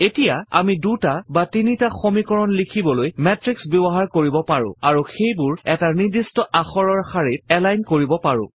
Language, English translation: Assamese, Now, we can also use matrices to write two or three equations and then align them on a particular character